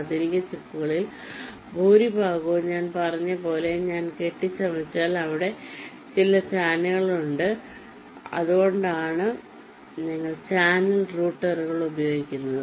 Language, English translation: Malayalam, so this, as i said, most of the modern chips that if i fabricate, there we have channels and thats why we use channel routers